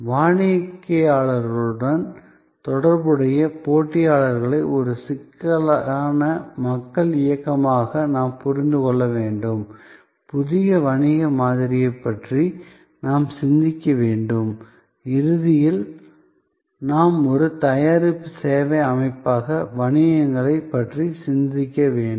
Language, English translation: Tamil, We have to understand competitors in relation to customers as a complex people dynamics we have to think about new business model’s and ultimately therefore, we have to think about businesses as a product services systems